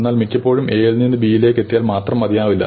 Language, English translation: Malayalam, But very often it is not good enough to get from A to B